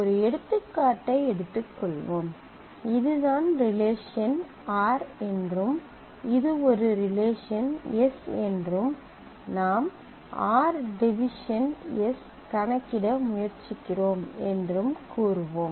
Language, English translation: Tamil, Let us take an example, let us say this is this is the relation r and this is a relation s and I am trying to compute r divided by s